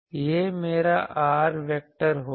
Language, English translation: Hindi, This will be my r dashed vector